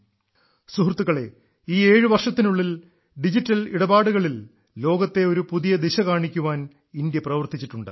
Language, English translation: Malayalam, Friends, in these 7 years, India has worked to show the world a new direction in digital transactions